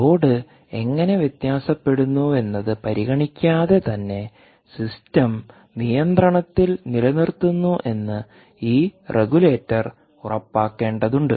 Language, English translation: Malayalam, this regulator has to ensure that, irrespective of what the, how the load is varying, it has to keep the system under high regulation